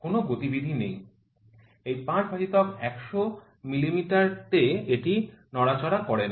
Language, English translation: Bengali, There is no movement, that is 5 by 100 mm, it does not move